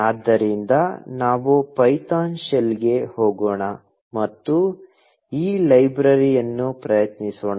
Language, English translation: Kannada, So, let us just go to the python shell, and try out this library